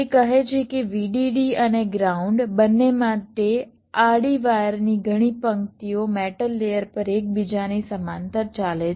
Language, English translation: Gujarati, it says that several rows of horizontal wires, for both vdd and ground, run parallel to each other on metal layer